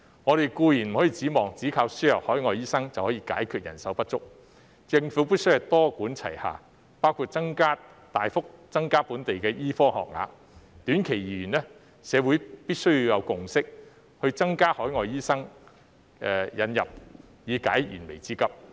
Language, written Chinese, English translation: Cantonese, 我們固然不能指望單靠輸入海外醫生便可以解決人手不足問題，政府必須多管齊下，包括大幅增加本地醫科學額；短期而言，社會必須要有共識，增加引入海外醫生以解燃眉之急。, We certainly cannot expect that the problem of manpower shortage can be resolved by importing overseas doctors alone . The Government must adopt a multi - pronged approach including a substantial increase in the number of places in local medical schools . In the short run it is imperative that a consensus be reached in society on admitting more overseas doctors to cope with the urgent need